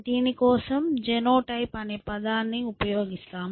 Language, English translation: Telugu, So, we are, we up, we use the term genotype for this